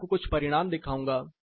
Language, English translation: Hindi, I will show you few results